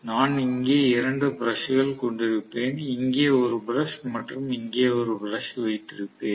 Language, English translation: Tamil, And I will have 2 brushes, one brush here and one brush here that is it